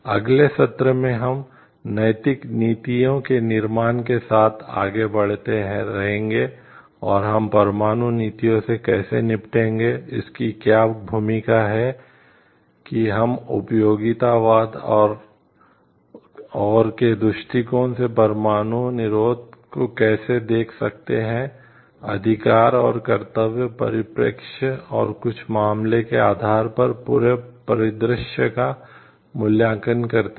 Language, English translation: Hindi, In the next session we are going to continue with the formation of the ethical policies and, how we are going to deal with the nuclear policies, what is the role of the different how we can look into nuclear deterrence from utilitarianism perspective and, rights and duties perspective and evaluate the whole scenario based on some cases